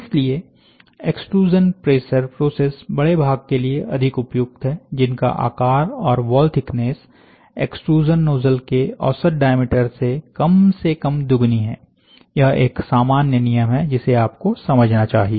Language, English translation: Hindi, Extrusion pressure processes are therefore, more suitable for larger parts, that have features and wall thickness that are at least twice the nominal diameter of the extrusion nozzle, this is a thumb rule which you should understand